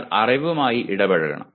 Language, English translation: Malayalam, He has to engage with the knowledge